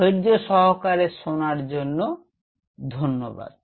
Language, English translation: Bengali, And thanks for your patience